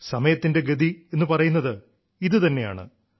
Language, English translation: Malayalam, This is what is termed as the speed of time